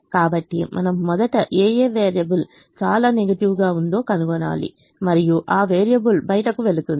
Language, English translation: Telugu, so we first find that variable which is most negative and say that variable goes out